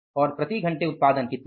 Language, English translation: Hindi, And then what is the output per hour